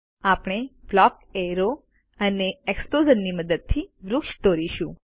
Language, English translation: Gujarati, We shall draw a tree using a block arrow and a explosion